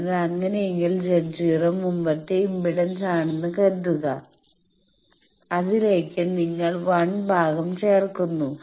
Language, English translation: Malayalam, So, in that case, suppose Z naught was the previous impedance with that you add 1 part